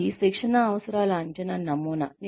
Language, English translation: Telugu, This is the training needs assessment model